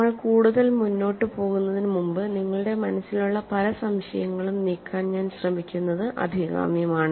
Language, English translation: Malayalam, Before we proceed further, it is desirable I try to clear as many doubts that you have in your minds